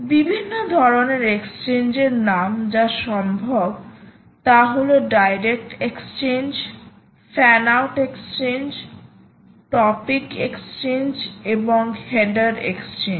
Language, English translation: Bengali, the type of exchanges: you can have a direct exchange, you can have fan out exchange, you can have topic exchange and you can have header exchange